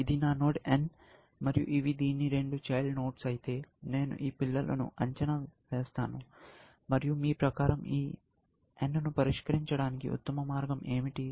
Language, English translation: Telugu, If this was my node n, and these are the two children; I will evaluate this children, and what is the best way of solving this n